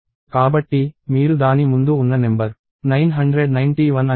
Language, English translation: Telugu, So, you can go and verify that the number before that is 991 and so on